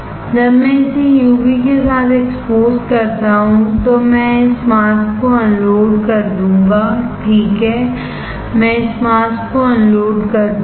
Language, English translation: Hindi, After I expose it with UV, I will unload this mask, right I will unload this mask